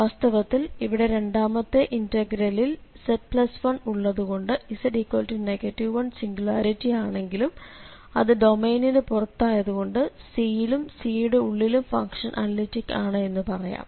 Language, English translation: Malayalam, Indeed the second integral here where we have z plus 1, so the integrant here is analytic because z is equal to minus 1 is outside the domain, so here this is analytic, analytic in C and inside C, on C and inside C